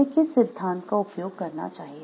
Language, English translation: Hindi, Which theory should we use